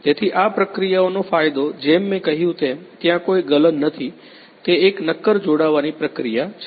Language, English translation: Gujarati, So, the advantage of this process as I mentioned that there is no melting so, it is a solid joining process